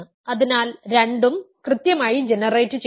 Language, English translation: Malayalam, So, both are finitely generated